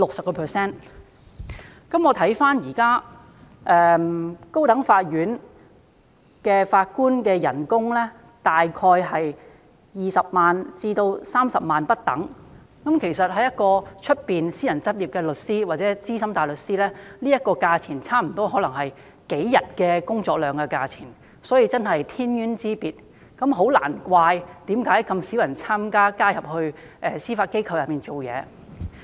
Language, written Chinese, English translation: Cantonese, 現時高等法院法官的月薪大概是20萬元至30萬元不等，但對於私人執業的律師或資深大律師而言，這個金額可能大約等於他們數天工作量的酬金而已，確實是天淵之別，難怪很少人願意加入司法機構工作。, At present the monthly salaries of Judges of the High Court range from approximately 200,000 to 300,000 yet this sum might just be barely equivalent to the remuneration for a few days work of solicitors or Senior Counsels in private practice . This is indeed a stark contrast and no wonder very few of them are willing to join and work for the Judiciary